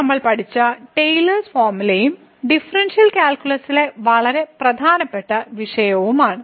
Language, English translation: Malayalam, So, what we have learnt today is the Taylor’s formula and very important topic in the differential calculus